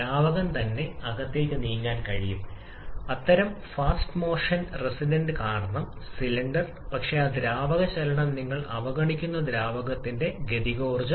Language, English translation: Malayalam, The fluid itself can move inside the cylinder because of the because of such fast motion resistance, but that fluid motion corresponding kinetic energy of the fluid that you are neglecting